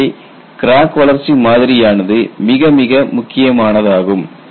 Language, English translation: Tamil, So, the crack growth model has to be realistic